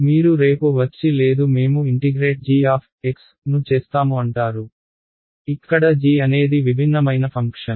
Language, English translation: Telugu, Now you come along tomorrow and say no I want integrate g of x, where g is some different function